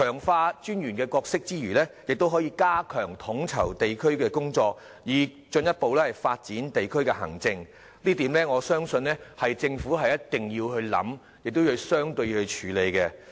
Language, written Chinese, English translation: Cantonese, 強化民政事務專員的角色之餘，亦可以加強統籌地區工作，以進一步發展地區行政，這點我相信政府一定要考慮，亦需要處理。, Apart from enhancing the role of District Officers the coordination of district work can also be strengthened to further develop district administration . I believe this is something the Government must consider and needs to handle